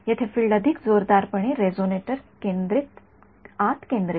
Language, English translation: Marathi, Here the field is much more strongly concentrated inside the resonator